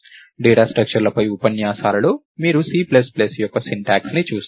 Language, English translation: Telugu, So, in the lectures on data structures, you will see syntax of C plus plus